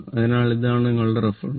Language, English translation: Malayalam, So, this is your I the reference right